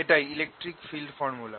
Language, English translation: Bengali, that the electric field formula